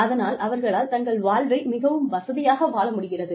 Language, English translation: Tamil, So, that they are able to live their lives, comfortably